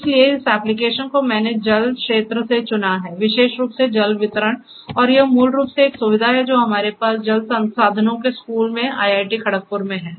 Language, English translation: Hindi, So, this application I have chosen from the water sector; water distribution particularly and this is basically a facility that we have in IIT Kharagpur in the school of water resources